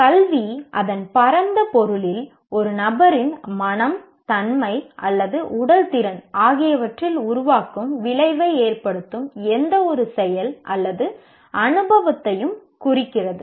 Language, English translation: Tamil, Education in its broad sense refers to any act or experience that has formative effect on the mind, character or physical ability of an individual